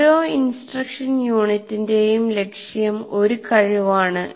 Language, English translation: Malayalam, So one instructional unit is associated with one competency